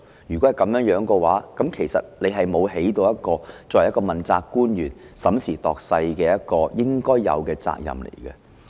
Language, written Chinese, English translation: Cantonese, 如果這樣的話，其實局長沒有背負起一個作為問責官員審時度勢應有的責任。, In this case actually the Secretary has not taken on the responsibility of an accountability official to take stock of the situation